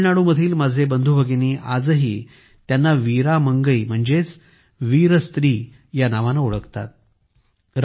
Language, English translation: Marathi, My brothers and sisters of Tamil Nadu still remember her by the name of Veera Mangai i